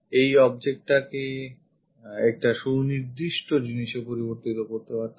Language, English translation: Bengali, Turn this object into one particular thing